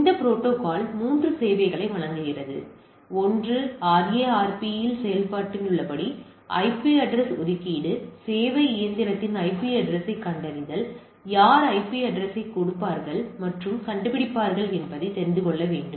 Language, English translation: Tamil, This protocol provides three services, one is IP address assignment as did in RARP detection of the IP address of serving machine right, it need to know that who will give the IP address and detect the thing, the name of the file to be loaded and executed at the client machine